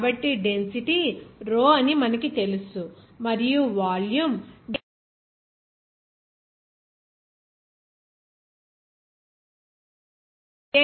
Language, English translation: Telugu, So, you know the density is rho and volume is dx, dy and dz